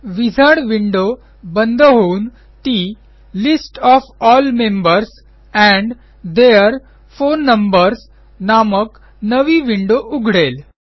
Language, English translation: Marathi, The wizard window has closed and there is a new window whose title says, List of all members and their phone numbers